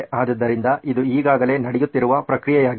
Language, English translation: Kannada, So this is already a process which is happening today